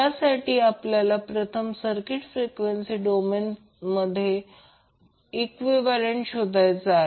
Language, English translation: Marathi, We need to first obtain the frequency domain equivalent of the circuit